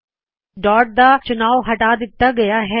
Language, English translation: Punjabi, In this case, dot selection has been removed